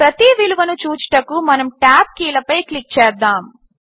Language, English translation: Telugu, Let us click on the tab keys to go through each value